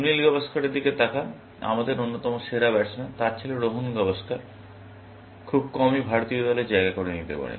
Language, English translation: Bengali, Look at Sunil Gavaskar, one of the greatest batsman we had, his son Rohan Gavaskar, could barely, make it to the Indian team, essentially